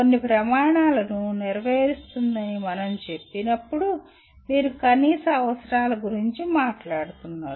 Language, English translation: Telugu, When we say fulfils certain standards, you are talking about minimum requirements